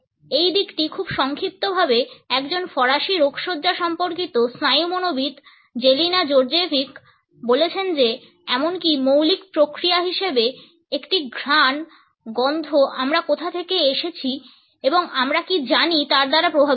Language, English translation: Bengali, This aspect has been very succinctly put by Jelena Djordjevic, a French clinical neuropsychologist, who has said that even basic processes such as smelling a scent are influenced by where we come from and what we know